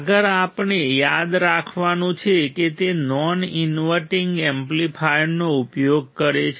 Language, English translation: Gujarati, ; next one we have to remember is it uses a non inverting amplifier